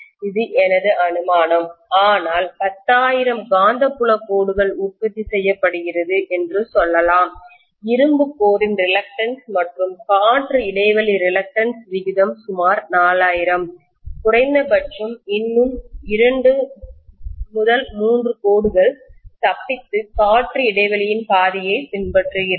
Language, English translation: Tamil, That is my assumption but if let us say there are some 10,000 magnetic field lines that have been produced, although the ratio of the air gap reluctance to the reluctance of the iron core is about 4000, I will still have maybe 2 3 lines at least escaping and following the path of air gap